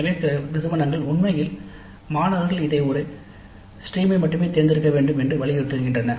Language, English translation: Tamil, So some institutes actually insist that students must selectives like this in a stream only